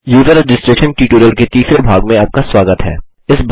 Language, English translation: Hindi, Welcome to the 3rd part of the User Registration tutorial